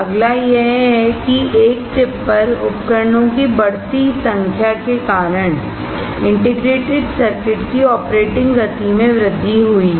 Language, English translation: Hindi, Next is that, due to the increased number of devices onboard, integrated circuits have increased operating speeds